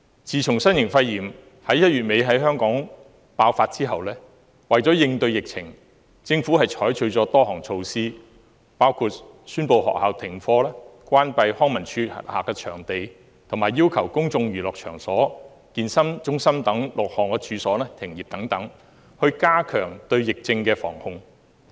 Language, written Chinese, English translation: Cantonese, 自從新型肺炎於1月底在香港爆發後，為應對疫情，政府採取了多項措施，包括宣布學校停課、關閉康樂及文化事務署轄下的場地，以及要求公眾娛樂場所和健身中心等6項處所停業等，以加強對疫症的防控。, In response to the novel coronavirus outbreak in Hong Kong since the end of January the Government has implemented a number of measures including suspension of schools closure of venues under the Leisure and Cultural Services Department and suspension of business at six types of premises such as places of public entertainment and fitness centres in order to strengthen outbreak prevention and control